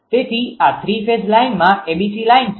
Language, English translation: Gujarati, So, this is the 3 phase line abc phase right